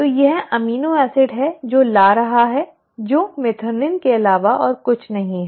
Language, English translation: Hindi, So this is the amino acid it is bringing which is nothing but methionine